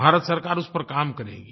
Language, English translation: Hindi, The Government of India will work on that